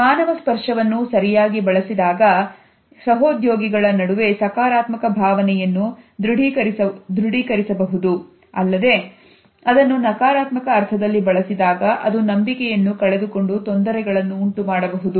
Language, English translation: Kannada, When used properly human touch can corroborate a positive feeling an assertive association amongst the colleagues, on the other hand when it is used in a negative sense it can break the trust and cause difficulties